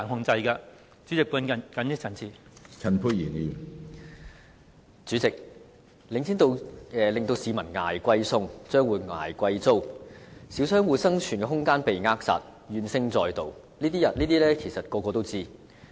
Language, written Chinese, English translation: Cantonese, 主席，領展房地產投資信託基金令市民"捱貴餸"、商戶"捱貴租"，小商戶生存空間被扼殺，怨聲載道，這些其實人人皆知。, President it is actually known to everyone that The Link Real Estate Investment Trust has not only made members of the public fork out more for their food and shop operators pay exorbitant rents but also stifled the room of survival of small shop operators thus arousing grievances